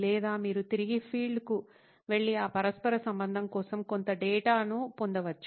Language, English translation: Telugu, Or you can even go back to the field and get some data to correlate that